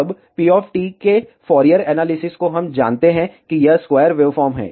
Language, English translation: Hindi, Now, the spurious analysis of p of t we know that, it is a square wave